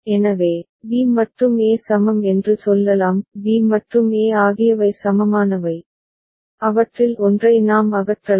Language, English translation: Tamil, So, we can say b and e are equivalent; b and e are equivalent and we can eliminate one of them